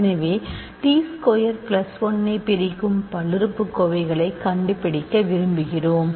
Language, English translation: Tamil, So, we want to find polynomials f t that divide t squared plus 1 ok